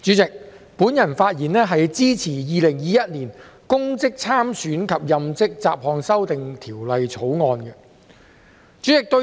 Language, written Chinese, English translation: Cantonese, 代理主席，我發言支持《2021年公職條例草案》。, Deputy President I speak in support of the Public Offices Bill 2021 the Bill